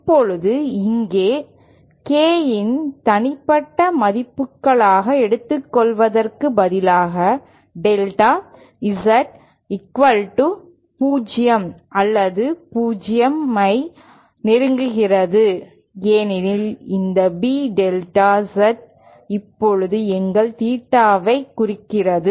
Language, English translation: Tamil, Now here instead of taking this as a individual values of K the limit the delta Z becomes equal to 0 or approaches 0, because this B delta Z now represents our theta